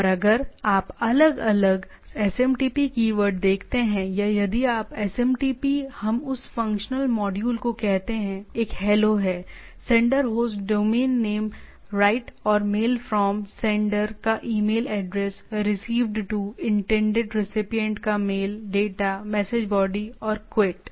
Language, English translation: Hindi, And if you look at different SMTP keywords or if SMTP what we say that functional modules; one is HELO: sender’s host domain name, right, MAIL FROM: email address of the sender, Received To: email of intended recipient, DATA: body of the message and QUIT or quitting this thing